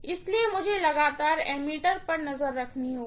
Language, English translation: Hindi, So, I have to continuously keep an eye on the ammeter